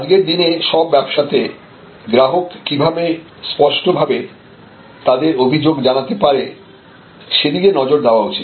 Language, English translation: Bengali, And all businesses today must focus how to persuade the customer to articulate their grievances